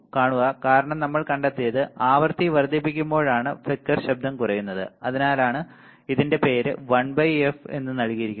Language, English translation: Malayalam, See because what we have found is when we increase the frequency the flicker noise decreases or increasing the frequency the flicker noise decreases right that is why the name is given 1 by f noise